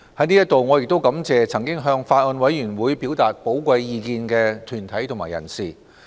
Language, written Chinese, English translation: Cantonese, 在此，我亦感謝曾經向法案委員會表達寶貴意見的團體及人士。, I also thank various deputations and individuals for presenting their views to the Bills Committee